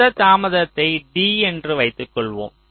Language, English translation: Tamil, so the total delay, lets call it capital d